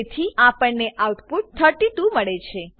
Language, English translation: Gujarati, So we get the output as 32